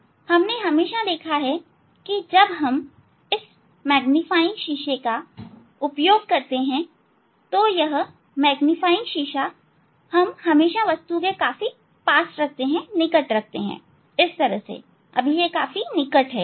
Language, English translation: Hindi, and also always we have seen that we when we use this magnifying glass, so magnifying glass always we, always it is quite close to the object, it is quite close